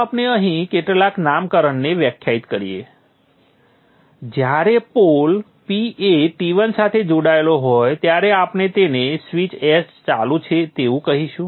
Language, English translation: Gujarati, Let us define some nomenclature here when the pole P is connected to T1 we will call it as S on